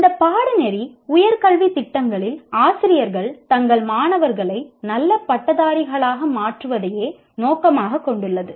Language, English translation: Tamil, This course aims at enabling teachers in higher education programs to facilitate their students to become good graduates